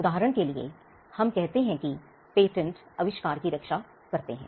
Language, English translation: Hindi, For instance, when we say patents protect inventions